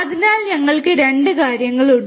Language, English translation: Malayalam, So, we have 2 things